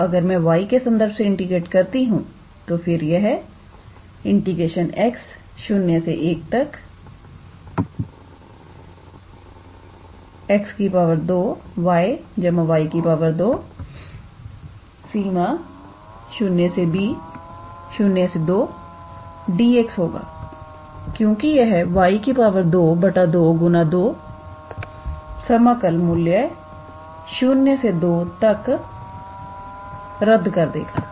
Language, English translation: Hindi, So, if we integrate with respect to y then this will be x square y plus y square, right because it will be y square by 2 and then 2 will cancel out integral value from 0 to 2